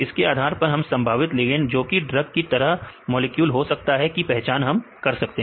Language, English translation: Hindi, Based on that then we can identify the probable ligands to be a drug like molecules